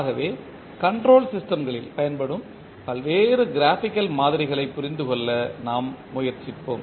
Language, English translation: Tamil, So let us try to understand what are the various graphical models used in the control systems